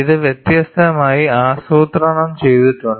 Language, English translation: Malayalam, It is plotted differently